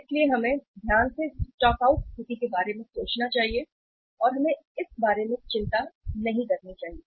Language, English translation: Hindi, So we should carefully think about the stock out situation and we have not to worry about that